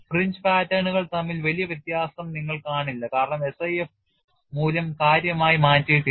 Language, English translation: Malayalam, You would not see much difference between the fringe patterns because the SIF value is not significantly altered